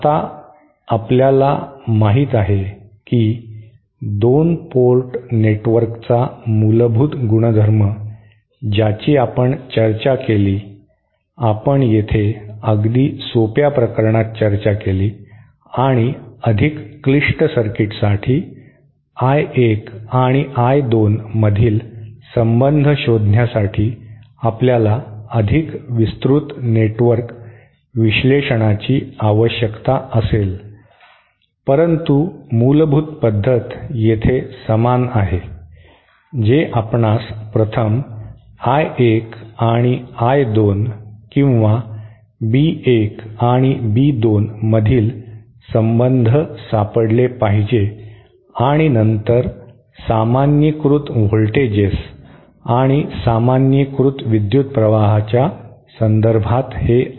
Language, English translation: Marathi, Now this is the you know this the basic property of 2 port network we discussed we discussed very simple case here and for more complicated circuits we will need a more extensive network analysis to find a relationship between I 1 and I 2, but the basic proceed here is the same that you first find the relationship between I 1 and I 2 or between B 1 and B 2 and then express these Is and Bs in terms of the normalized voltages and the normalized current